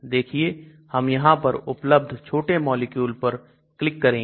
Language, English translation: Hindi, Imagine I just click on one of these small molecules are there